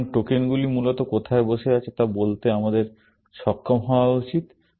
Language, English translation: Bengali, So, we should able to say where the tokens are sitting, essentially